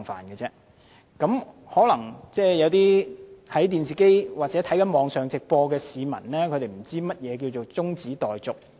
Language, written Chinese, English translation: Cantonese, 有些在電視上或網頁觀看直播的市民，可能不太清楚何謂"中止待續議案"。, Some members of the public who are watching the live broadcast on television or webcast may not understand very clearly what an adjournment motion is